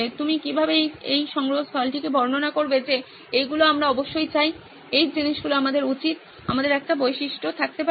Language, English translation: Bengali, How would you describe this repository saying these are the things that we absolutely want, these are the things that we should, we can have sort of a feature